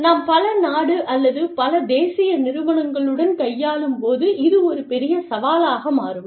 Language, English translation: Tamil, Again, this becomes a big challenge, when we are dealing with, multi country or multi national enterprises